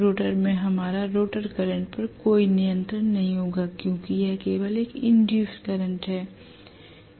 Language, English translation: Hindi, The rotor we will not have any control over the rotor current because it is only an induced current